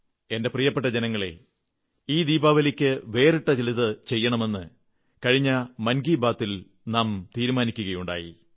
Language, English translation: Malayalam, My dear countrymen, in the previous episode of Mann Ki Baat, we had decided to do something different this Diwali